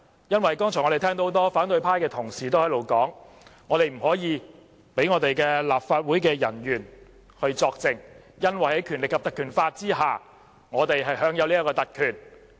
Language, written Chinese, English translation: Cantonese, 剛才聽見不少反對派同事表示，不能讓立法會人員作證，因為在《條例》的保障下，我們享有這項特權。, Many opposition Members have stated just now that no officer of the Legislative Council can be allowed to give evidence as we are privileged under the protection of the Ordinance